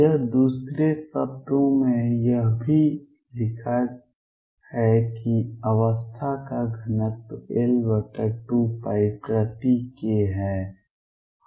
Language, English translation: Hindi, Or this is also written in another words is that the density of states is L over 2 pi per k